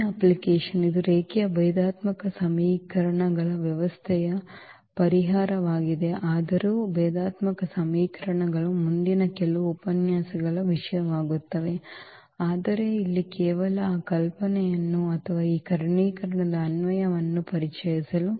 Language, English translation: Kannada, Now, coming to the next application which is the solution of the system of linear differential equations though the differential equations will be the topic of the next few lectures, but here just to introduce the idea of this or the application of this diagonalization